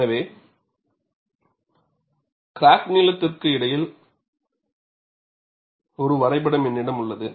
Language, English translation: Tamil, So, I have a graph between crack length and I have the stress here